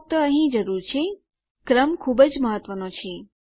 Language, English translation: Gujarati, So we just need in here the order is very important